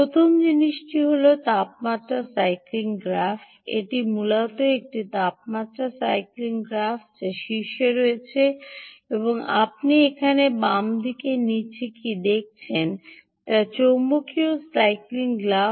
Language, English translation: Bengali, this is, ah, essentially the temperature cycling graph which is on top and what you see bottom here, on the left side